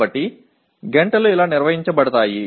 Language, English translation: Telugu, So that is how the hours are organized